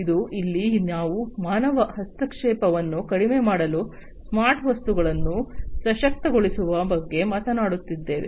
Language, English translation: Kannada, And here we are talking about empowering smart objects to reduce human intervention